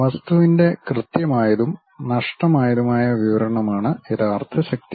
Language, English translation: Malayalam, The real power is about precise and unambiguous description of the object